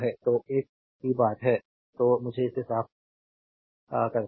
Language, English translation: Hindi, So, same thing is there next; so, let me clean it